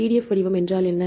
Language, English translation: Tamil, So, what is PDF format